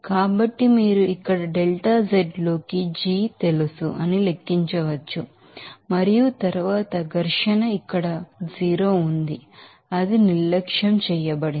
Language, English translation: Telugu, So, you can calculate simply that you know g into here delta z and then friction is 0 here it is neglected